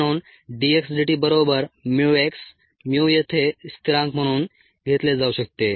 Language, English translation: Marathi, therefore d x, d, t equals mu, x, mu can be take in to be a constant here